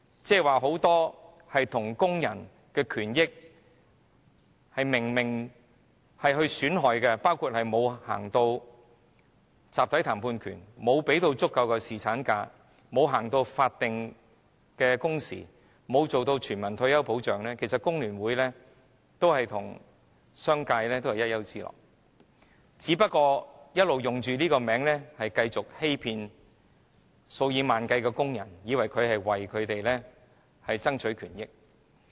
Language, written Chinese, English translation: Cantonese, 對於很多有損工人權益的事情，包括沒有推行集體談判權、沒有給予足夠侍產假、沒有推行法定工時、沒有推行全民退休保障，其實工聯會與商界同是一丘之貉，只不過它打着"工聯會"的名號，欺騙數以萬計的工人，令他們誤以為這個工會會為他們爭取權益。, On many issues which affect labour rights such as the absence of collective bargaining right the absence of adequate paternity leave the absence of statutory working hours and the absence of universal retirement protection FTU has indeed sided with the business sector only that it flaunts the banner of FTU to deceive tens of thousands of workers misleading them into believing that this trade union will fight for their interests